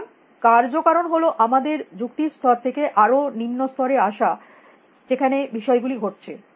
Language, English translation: Bengali, So, the causality is from our level of reasoning to the lower level where things are actually happening